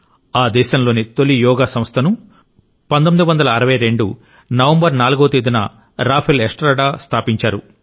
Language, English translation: Telugu, On 4th of November 1962, the first Yoga institution in Chile was established by José Rafael Estrada